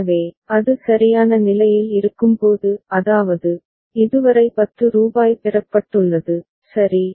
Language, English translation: Tamil, So, when it is at state c right; that means, rupees 10 has been received so far, right